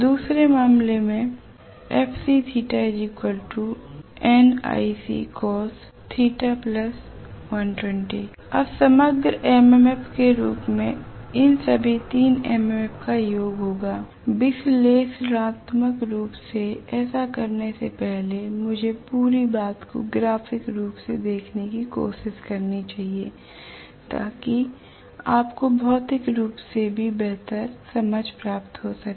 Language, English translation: Hindi, Now what I have to calculate as the overall MMF will be the summation of all these 3 MMFs, before doing this analytically let me try to look at the whole thing graphically so that you also get a better understanding physically of this right